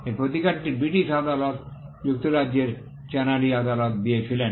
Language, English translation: Bengali, This remedy was given by the British courts by the Chancery courts in United Kingdom